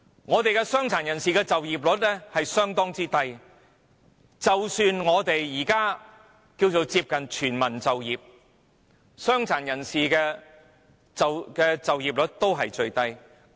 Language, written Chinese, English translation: Cantonese, 本港的傷殘人士就業率相當低，即使我們目前接近全民就業，傷殘人士的就業率仍是最低。, The employment rate of PWDs in Hong Kong is very low . Even though we are close to full employment now the employment rate of PWDs is still the lowest among all types of workers in the city